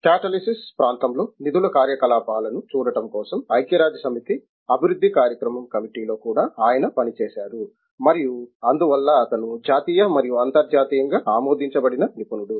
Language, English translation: Telugu, He has also served in the United Nations development program committee for looking at funding activities in the area of catalysis and so he is both a national as well as an internationally accepted expert